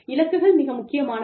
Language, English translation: Tamil, Goals are more important